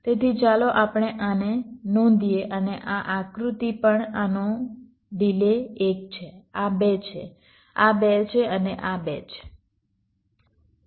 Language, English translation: Gujarati, so let us note this down and this diagram also: the delay of this is one, this is two, this is two and this is two